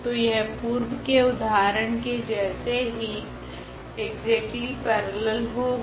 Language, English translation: Hindi, So, exactly it is a parallel to what we have just seen in previous examples